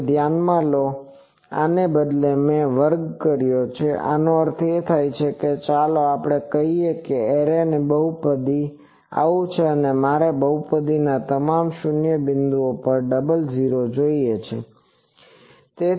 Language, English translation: Gujarati, Now, consider that instead of these, I squared these so, that means, suppose let us say an array polynomial is like this 1 plus Z plus Z square plus Z cube plus Z 4 and I want double 0s at all these 0 points of this polynomial